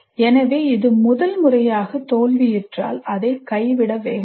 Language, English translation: Tamil, So do not abandon if it fails the first time